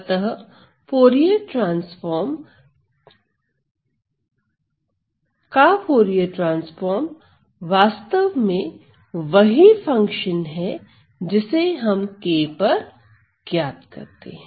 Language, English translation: Hindi, So, Fourier transform of the Fourier transform function is the actual function evaluated at this variable small k